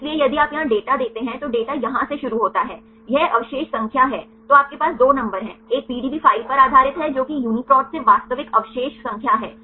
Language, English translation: Hindi, So, here if you see the data here the data starts from here, this is the residue number the two numbers one is based on the PDB file one is actual residue number from the UniProt